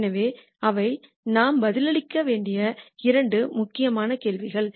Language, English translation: Tamil, So, those are two important questions that we need to answer